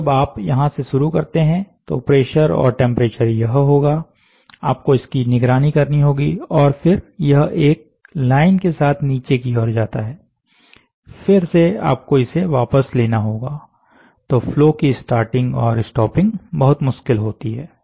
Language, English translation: Hindi, So, you start here, when you start here, it will be pressure temperature, you have to monitor and then it drops down, along the line, again you have to withdraw back, right this is start, this is end, withdraw back